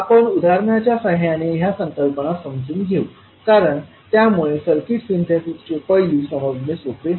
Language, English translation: Marathi, So let us understand these concepts with the help of examples because that would be easier to understand the Synthesis aspect of the circuit